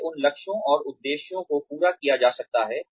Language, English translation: Hindi, How, those goals and objectives can be met